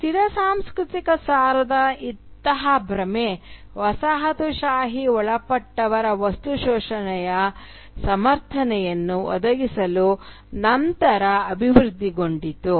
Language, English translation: Kannada, Such an illusion of a static cultural essence only developed later to provide a justification for the material exploitation that colonialism involved